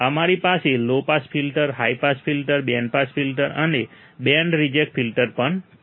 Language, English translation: Gujarati, We also have low pass filters, high pass filters, band pass filters and band reject filters